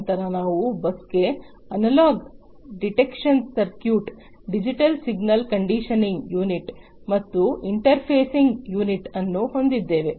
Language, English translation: Kannada, Then we have the analog detection circuit, digital signal conditioning unit, and interfacing unit to the bus